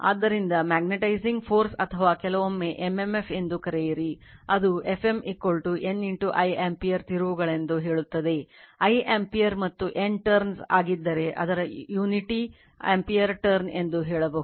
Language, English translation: Kannada, So, your magnetizing force or sometimes we call m m f that is your F m is equal to say N I ampere turns; if I is ampere and N is turn, so its unity call ampere turn